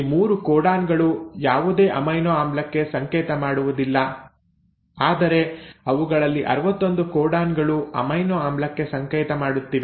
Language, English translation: Kannada, Now these 3 codons, they do not code for any amino acid but you have 61 of them which are coding for amino acid